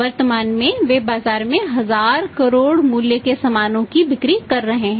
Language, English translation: Hindi, So, it means currently they are selling for 1000 crore worth of goods in the market